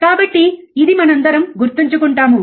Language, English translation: Telugu, So, this we all remember correct